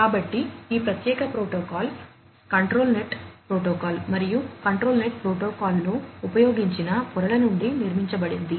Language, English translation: Telugu, So, this particular protocol is constructed from layers used in the device net protocol and the control net protocol